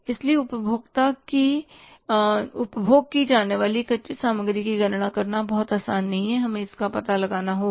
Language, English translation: Hindi, So, calculating the raw material consumed is not very easy we will have to find it out